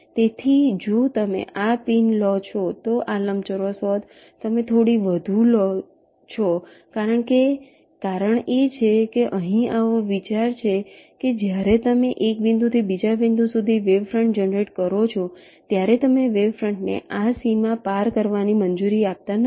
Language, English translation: Gujarati, so if you take this prints, the rectangle would have been this: you take a little more because the reason is that, ok, here is the idea that when you generate the wavefronts from one point to the other, you do not allow the wavefront to cross this boundary, which means your wavefronts will only be limited to this rectangle